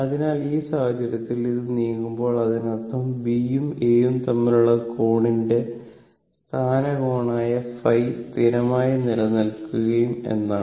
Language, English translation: Malayalam, So, in that case, as this is moving when; that means, angle between B and A whatever may be the position angle phi will remain constant